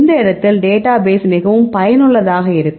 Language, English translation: Tamil, In this case this database is a very useful